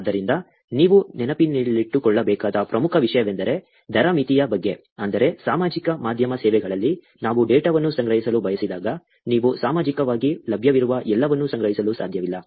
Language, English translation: Kannada, So, one of the important thing that you want to also keep in mind is that, about the rate limit, which is that in social media services when we want to collect data you cannot collect the data everything that is available on social, on these services